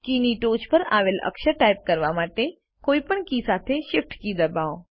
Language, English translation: Gujarati, Press the Shift key with any other key to type a character given at the top of the key